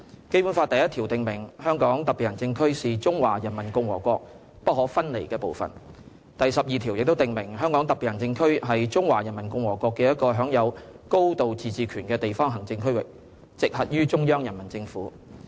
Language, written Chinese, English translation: Cantonese, 《基本法》第一條訂明，"香港特別行政區是中華人民共和國不可分離的部分"；第十二條亦訂明，"香港特別行政區是中華人民共和國的一個享有高度自治權的地方行政區域，直轄於中央人民政府"。, Article 1 of the Basic Law stipulates that [t]he Hong Kong Special Administrative Region is an inalienable part of the Peoples Republic of China while Article 12 stipulates that [t]he Hong Kong Special Administrative Region shall be a local administrative region of the Peoples Republic of China which shall enjoy a high degree of autonomy and come directly under the Central Peoples Government